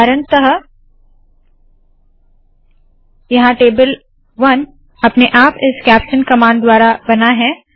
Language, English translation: Hindi, For example, here table 1 has been created automatically by this caption command